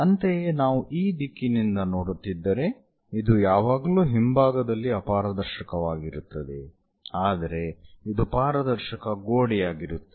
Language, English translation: Kannada, Similarly, if one is looking from this direction, this one always be opaque on the back side, but this one is transparent wall